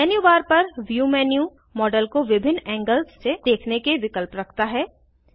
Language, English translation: Hindi, View menu on the menu bar, has options to view the model from various angles